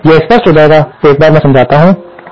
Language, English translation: Hindi, So, this will be clear once I explain this